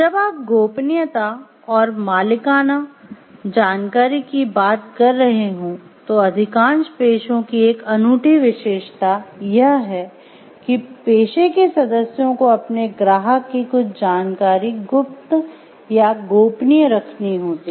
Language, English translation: Hindi, When you are talking of confidentiality and proprietary information, this is an unique characteristics of the majority of the professions is that the members of this profession shall or should keep certain information of their client to secret or confidential